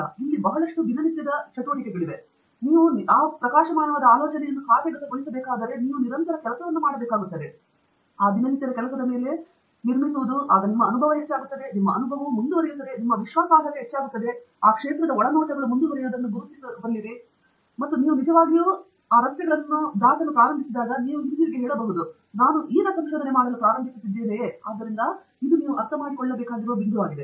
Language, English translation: Kannada, It is a lot of routine work that goes on, that you have to keep working on, and building on all of that routine work, you know, your experience goes up; your experience goes up, your confidence goes up, your ability to, you know, identify insights into that area starts going up and that is when you actually start making those in roads, which you can look back and say, you know, I was now beginning to do research; so that is the point that you need to understand